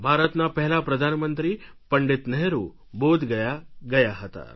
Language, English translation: Gujarati, Pandit Nehru, the first Prime Minister of India visited Bodh Gaya